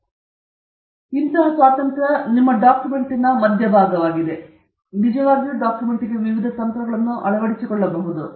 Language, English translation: Kannada, So, normally, this is the middle of your document and you can actually adopt different strategies for this document